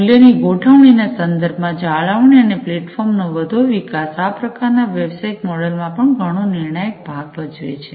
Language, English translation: Gujarati, With respect to value configuration, the maintenance, and further development of the platforms are very crucial in this kind of business model